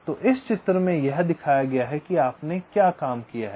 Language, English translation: Hindi, so this is shown in this diagram, exactly what you have worked out